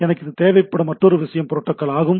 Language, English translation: Tamil, Another thing I require is that the protocol